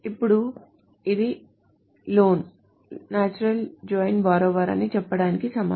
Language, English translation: Telugu, Now this is equivalent to saying this is loan natural join borrower